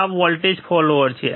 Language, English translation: Gujarati, This is a voltage follower